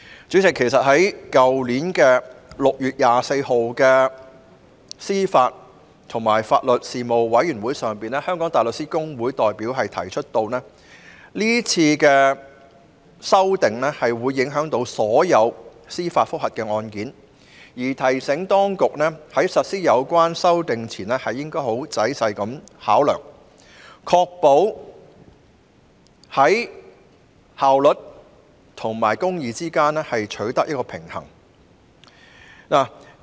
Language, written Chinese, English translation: Cantonese, 主席，其實在去年6月24日的司法及法律事務委員會會議上，香港大律師公會的代表已經指出，是次修訂將會影響所有司法覆核案件，並提醒當局在實施有關修訂前應該仔細考量，確保在效率及公義之間取得平衡。, President in fact at the meeting of the Panel on Administration of Justice and Legal Services on 24 June last year the representative for the Hong Kong Bar Association already highlighted that this amendment exercise would have an impact on all JR cases and reminded the authorities to consider carefully before putting the amendments concerned in place with a view to ensuring that a balance between efficiency and justice could be attained